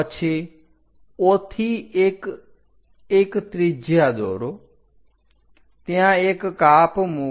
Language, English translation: Gujarati, Then O to 1 construct a radius make a cut there